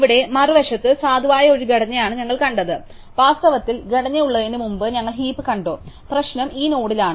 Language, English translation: Malayalam, Here on the other have, we saw something which is a valid structure, in fact we saw heap before which has the structure, the problem is with this node